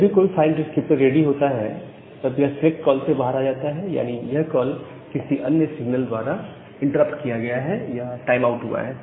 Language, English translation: Hindi, So, whenever one of the file descriptor becomes ready it comes out of the select call, if that particular call is interrupted by some other signals or the timeout happens